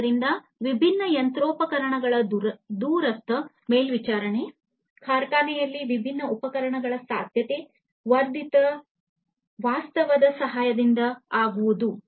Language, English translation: Kannada, So, remote monitoring of different machinery, different equipments in s factory is possible with the help of augmented reality